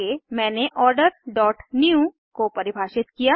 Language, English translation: Hindi, Next, I have defined Order dot new